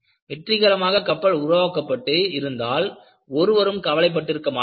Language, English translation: Tamil, If the ships were successful, no one would have worried